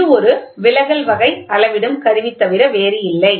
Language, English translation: Tamil, This is nothing but a deflection type measuring instrument